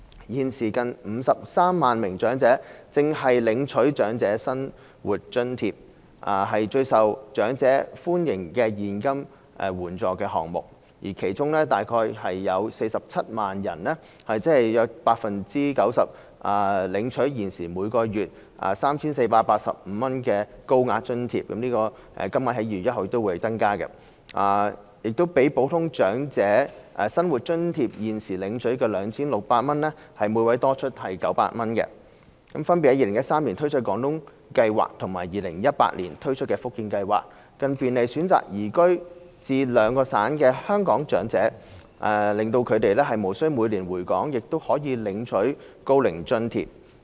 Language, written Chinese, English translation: Cantonese, 現時近53萬名長者正領取長者生活津貼，是最受長者歡迎的現金援助項目，其中約47萬人——即約 90%—— 領取現時每月 3,485 元的高額津貼，這個金額在2月1日起亦會增加，比普通長者生活津貼現時領取的 2,600 元多出約900元； b 分別在2013年推出廣東計劃和2018年推出福建計劃，便利選擇移居至該兩省的香港長者，使他們無須每年回港亦可領取高齡津貼。, There are currently close to 530 000 elderly persons receiving OAA which is the most popular cash assistance scheme among the elderly with about 470 000―or around 90 % ―of them receiving a monthly payment of 3,485 under Higher OALA; that amount which will also be increased from 1 February is about 900 more than the exiting level of 2,600 payable to Normal OALA recipients; b launching the Guangdong Scheme and Fujian Scheme in 2013 and 2018 respectively to facilitate receipt of OAA by Hong Kong elderly persons who choose to reside in the two provinces without having to return to Hong Kong every year